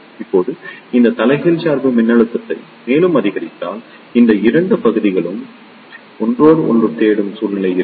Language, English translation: Tamil, Now, if you increase this reverse bias voltage further, there will be a situation that these 2 regions will touch each other